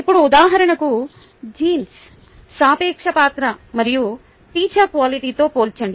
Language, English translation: Telugu, now let us compare, for example, the relative role of genes and teacher quality